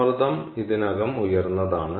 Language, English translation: Malayalam, it is already at low pressure